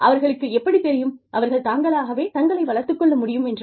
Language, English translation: Tamil, How do they know, that they can develop, themselves